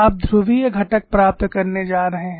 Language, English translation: Hindi, You are going to get polar components